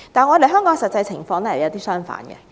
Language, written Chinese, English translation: Cantonese, 可是，香港的實際情況卻完全相反。, However the actual situation in Hong Kong is totally contrary to this